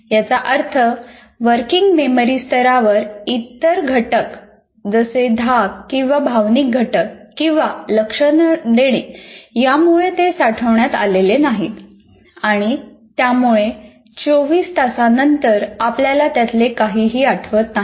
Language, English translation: Marathi, That means at the working memory level, all your other factors, either a threat factor or emotional factor or non attention, whatever it is that it has rejected that and then after 24 hours you will not, one doesn't remember